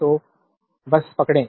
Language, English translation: Hindi, So, just hold on